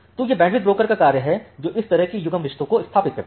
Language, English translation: Hindi, So, that is the task of the bandwidth broker, that sets up this kind of paring relationships